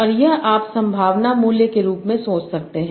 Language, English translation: Hindi, And this you can think of as the probability value